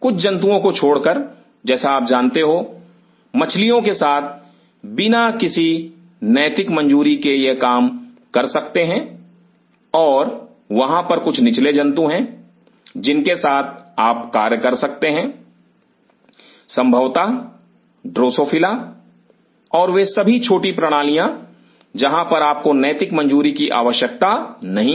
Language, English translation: Hindi, Barring aside some animals like you know, it can work with fishes without any ethical clearances and there are few lower animals you can work with possibly drosophila and all those small systems where you do not need a ethical clearances